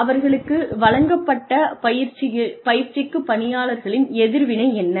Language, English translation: Tamil, What is the reaction of the employees, to the training, that has been given to them